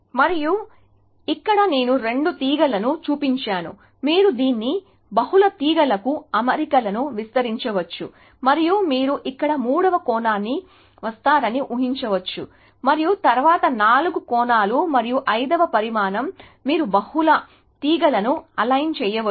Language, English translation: Telugu, And here, I have just shown two strings, you can extend this to multiple strings assignments, alignments and you can imagine a third dimension coming here and then a four dimension and then a fifth dimension , you can align multiple strings